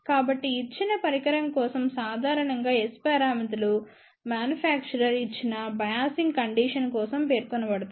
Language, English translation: Telugu, So, for a given device generally speaking S parameters are specified for given biasing condition by the manufacturer